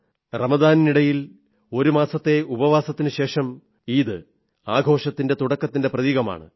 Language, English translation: Malayalam, After an entire month of fasting during Ramzan, the festival of Eid is a harbinger of celebrations